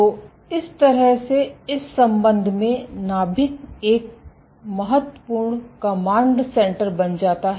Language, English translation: Hindi, So, in that regard the nucleus becomes an important command center